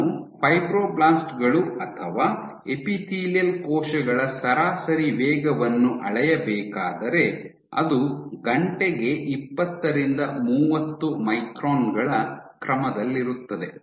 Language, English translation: Kannada, If I were to measure the average speed of fibroblasts or epithelial cells it is order let us say 20 30 microns per hour